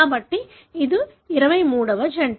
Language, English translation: Telugu, So, that is the 23rd pair